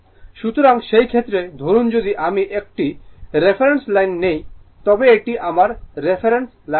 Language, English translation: Bengali, So, in that case suppose if I take a reference reference line this is my reference line